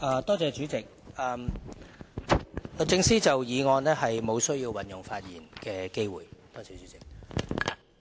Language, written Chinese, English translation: Cantonese, 代理主席，律政司沒有需要就議案運用發言的機會。, Deputy President the Department of Justice does not need to make use of the speaking time to speak on this motion